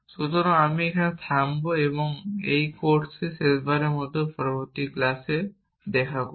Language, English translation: Bengali, So, I will stop here and will meet in the next class for the last time in this course